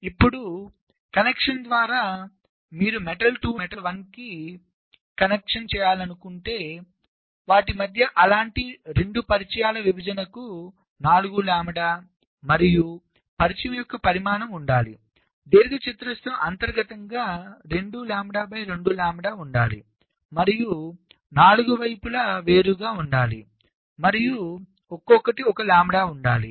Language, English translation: Telugu, now, regarding the via connection, so if you want to connect m two to m one, then there for two such contacts, separation between them should the four lambda, and the size of the contact, the rectangle internally should be two lambda by two lambda, and separation on the four side should be one lambda each